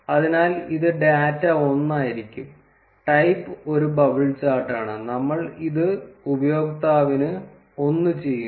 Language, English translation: Malayalam, So, it will be data one, type is a bubble chart and we are doing it for the user 1